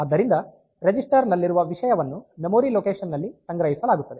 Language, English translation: Kannada, So, content of that register will be stored in the memory location